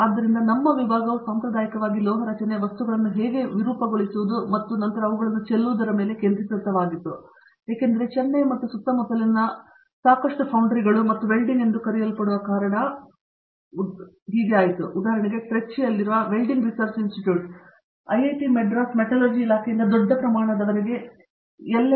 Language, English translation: Kannada, So, as a result our department traditionally concentrated on as I told Forming, metal forming, how materials deform and then Casting of them because there are quite a number of foundries in and around Chennai and also what is called Welding okay, there is for example; a Welding Research Institute in Trichy, which used to tie up with the IIT, Madras metallurgy department to a large extent, L&T use to have a lot of tie ups